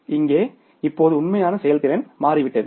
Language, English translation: Tamil, But here the now the actual performance has changed